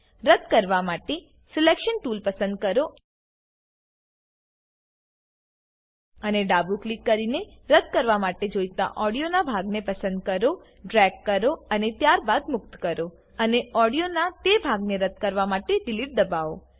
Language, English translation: Gujarati, To delete, select the Selection tool and select the part of the audio that needs to be deleted by left click, drag and then release, press delete to delete that part of the audio